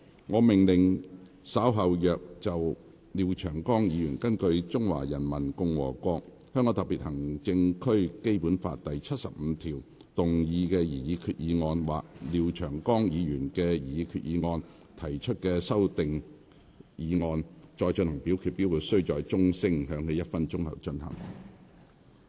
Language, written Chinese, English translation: Cantonese, 我命令若稍後就廖長江議員根據《中華人民共和國香港特別行政區基本法》第七十五條動議的擬議決議案或就廖長江議員的擬議決議案所提出的修訂議案再進行點名表決，表決須在鐘聲響起1分鐘後進行。, I order that in the event of further divisions being claimed in respect of Mr Martin LIAOs proposed resolution moved under Article 75 of the Basic Law of the Hong Kong Special Administrative Region of the Peoples Republic of China or any amending motions thereto this Council do proceed to each of such divisions immediately after the division bell has been rung for one minute